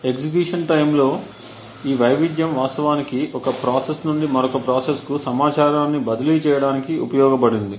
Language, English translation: Telugu, This variation in execution time was used to actually transfer information from one process to another